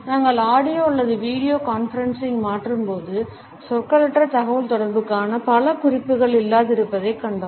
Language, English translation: Tamil, When we shifted to audio or video conferencing, we found that many cues of nonverbal communication started to become absent